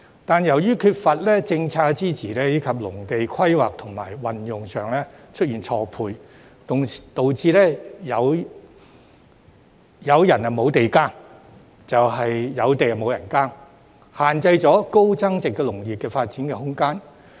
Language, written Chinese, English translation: Cantonese, 但是，由於缺乏政策支持，以及土地規劃和運用上出現錯配，導致有人無地耕、有地無人耕，限制了高增值農業的發展空間。, However there are cases in which either people got no land for farming or the land available for farming is left idle due to the lack of policy support and the mismatch of land planning and land use thus limiting the room for development of high value - added agriculture